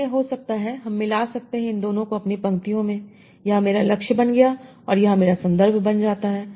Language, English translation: Hindi, So other could be I combine these two in my rows, this become my target and this will become my context